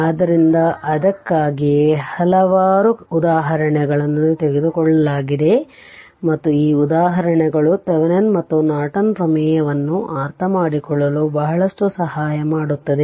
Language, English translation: Kannada, So, that is why several examples I have taken and this examples will help you a lot to understand this your, what you call this Thevenin’s and Norton theorem